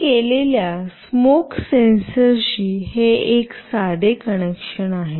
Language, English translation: Marathi, This is a simple connection with the smoke sensor that I have done